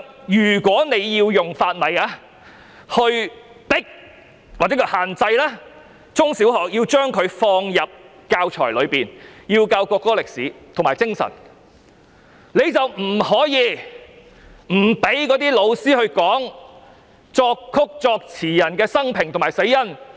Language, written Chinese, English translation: Cantonese, 如果政府要以法例逼迫中小學校把國歌放入教材，教授國歌的歷史和精神，便不可以不讓教師教授作曲人和作詞人的生平和死因。, If the Government wants to use a law to force secondary and primary schools to include the national anthem in the school curriculum and teach the history and spirit of the national anthem it has to allow teachers to teach the biography and cause of death of the composer and lyricist